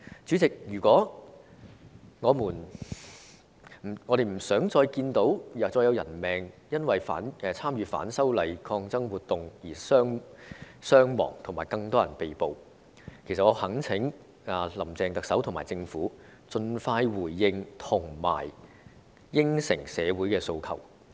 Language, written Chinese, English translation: Cantonese, 主席，我們不想再看到因為反修例的抗爭活動而造成傷亡，以及有更多人被捕，我懇請"林鄭"特首和政府盡快回應和答應社會的訴求。, President we do not wish to see any more injuries and deaths resulting from the protests against the proposed legislative amendments nor do we wish to see more arrests . I implore Chief Executive Carrie LAM and the Government to respond to and meet the aspirations of society as soon as possible